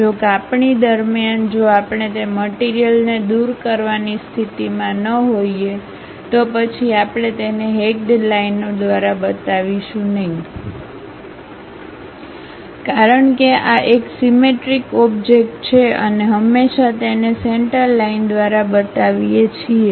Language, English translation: Gujarati, If this during the slicing, if we are not in a position to remove that material then we do not show it by hatched lines; because this is a symmetric object we always show it by center line information